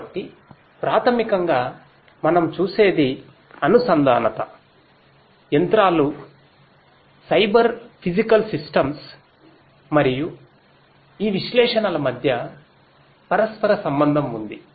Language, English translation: Telugu, So, basically what we see is there is an interplay between the connectivity, the machinery, the Cyber Physical Systems and this analytics